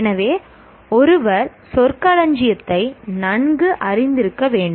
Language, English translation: Tamil, So one has to be familiar with the terminology